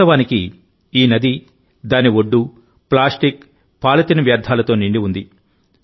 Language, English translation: Telugu, Actually, this river and its banks were full of plastic and polythene waste